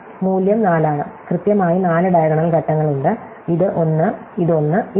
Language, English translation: Malayalam, So, there are value is 4 and there is exactly four diagonal steps, this one, this one, this one